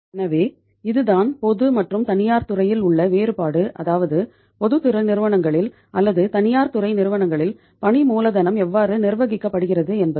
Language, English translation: Tamil, So this is the difference in the public and the private sector and how the working capital is managed in the public sector companies or in the private sector companies